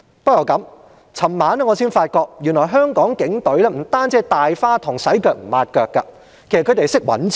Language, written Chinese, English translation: Cantonese, 不過，昨晚我才發覺原來香港警隊並非只是"大花筒"，"洗腳唔抹腳"，他們也懂得掙錢。, However it was only until last night that I realized that the Hong Kong Police Force was not a reckless spendthrift for it also knows how to make money